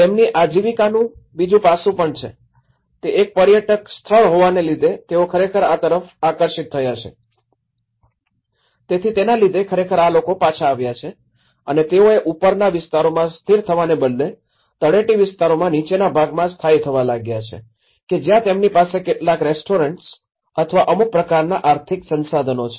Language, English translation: Gujarati, There is also the other aspect of their livelihood, which they also have which has actually attracted them back to it and that is why because it is being a tourist spot, so it has actually brought these people back and they started instead of settling in the above areas, they started settling in the bottom part in the foothill area and where they have some restaurants or some kind of economic resources